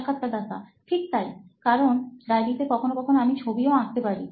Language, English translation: Bengali, Right, because in diary I can draw sometimes